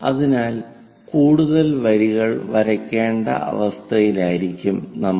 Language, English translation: Malayalam, So, we will be in a position to draw many more lines